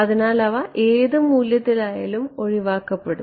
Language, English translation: Malayalam, So, whatever value they are it cancelled off